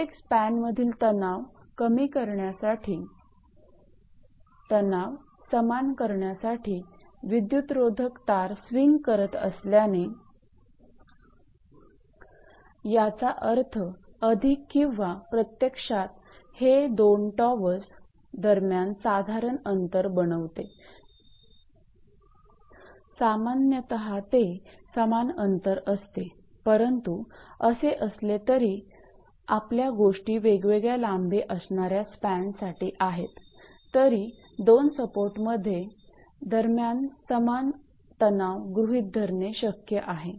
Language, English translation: Marathi, Since the insulator strings would swing so as to equalize the tension in each span; that means, more or, actually it is make generally distance between the two towers, generally it is equal distance right, but anyway your things as say unequal span if it happens; however, it is possible to assume a uniform tension between dead end supports by ruling span or equivalent span